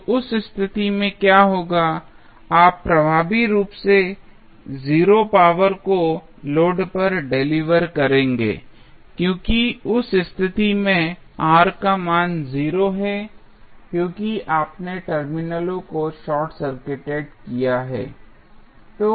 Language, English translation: Hindi, So, in that case what will happen, you will effectively deliver 0 power to the load because in that case the R value is 0 because you have short circuited the terminals